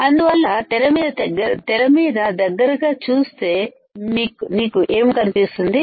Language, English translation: Telugu, So, have a closer look at the screen and what you see